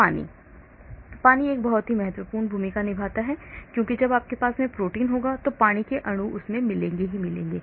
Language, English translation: Hindi, Water: water plays a very important role because when you have proteins water will be found, water molecules will be found